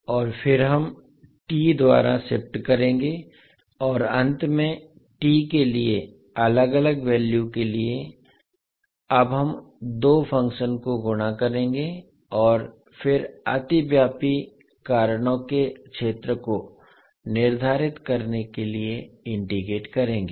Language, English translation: Hindi, And then we will shift by t and finally for different value for t we will now multiply the two functions and then integrate to determine the area of overlapping reasons